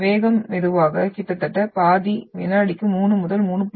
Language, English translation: Tamil, Speed is slow, almost half, 3 to 3